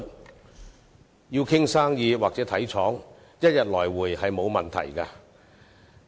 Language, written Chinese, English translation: Cantonese, 如要談生意或視察廠房，即日來回並無問題。, Same - day return trips are possible for people negotiating business deals or inspecting factories